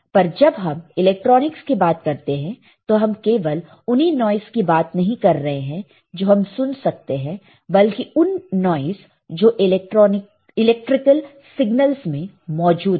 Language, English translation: Hindi, We are not talking about just a noise that we can hear, but noise that are present in the electrical signals